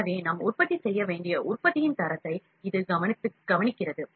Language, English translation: Tamil, So, it cares the quality of the product that we need to manufacture